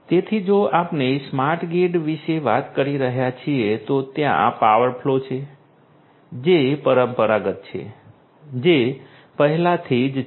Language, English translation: Gujarati, So, if we are talking about the smart grid, there is power flow that has that is traditional that has been there already so power flow